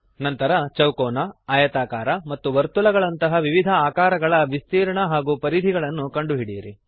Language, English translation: Kannada, Then find the area and perimeter of various shapes like square, rectangle and circle